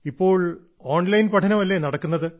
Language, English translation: Malayalam, Are their online studies going on well